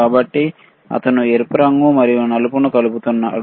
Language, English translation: Telugu, So, he is connecting the red and black, right